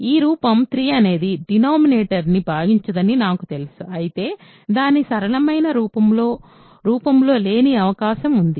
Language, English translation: Telugu, Now, I know that in this form 3 does not divide the denominator, but of course, it is possible that it is not in its simplest form